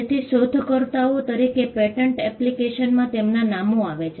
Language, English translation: Gujarati, So, their names figure in filing in a patent application as the inventors